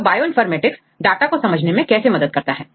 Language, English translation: Hindi, So, how the Bioinformatics is used to understand the data